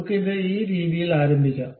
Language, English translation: Malayalam, Let us begin it in this way